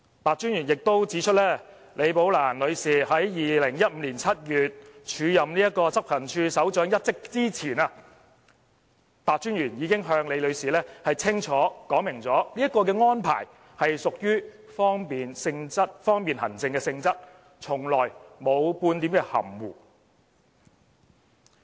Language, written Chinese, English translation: Cantonese, 白專員亦指出，李寶蘭女士在2015年7月署任執行處首長一職前，白專員已經向李女士清楚說明，有關安排是屬於方便行政的性質，從來沒有半點含糊。, Commissioner PEH also said that before Ms Rebecca LI started acting as Head of Operations in July 2015 he already told her very clearly without any ambiguity that the nature of the acting appointment was for administrative convenience